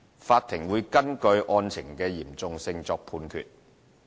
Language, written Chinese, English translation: Cantonese, 法庭會根據案情的嚴重性作判決。, The court will make judgment based on the seriousness of individual cases